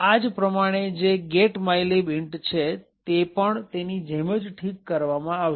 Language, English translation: Gujarati, Similarly, the getmylib int would also be fixed in a very similar manner